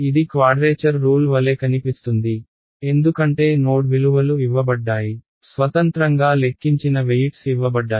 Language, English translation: Telugu, It looks like a quadrature rule, why because the node values are to be given; the weights are given which are independently calculated